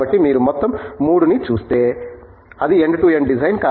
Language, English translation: Telugu, So, if you look at all of 3 of them as a whole, it is end to end design